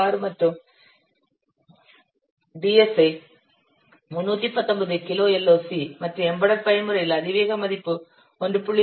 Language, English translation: Tamil, 6 and the DHA is given 319 kilo what LOC and the exponent value for embedded mode is 1